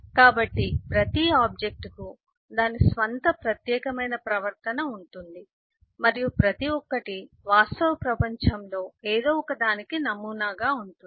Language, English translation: Telugu, so every object has its own unique behavior and each one models something in the real world